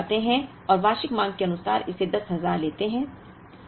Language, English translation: Hindi, Now, let us go back and take this 10,000, as the annual demand